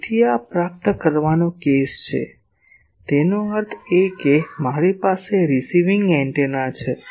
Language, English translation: Gujarati, So, this is a receiving case; that means I have a receiving antenna